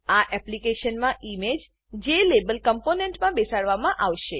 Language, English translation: Gujarati, In this application, the image will be embedded within a Jlabel component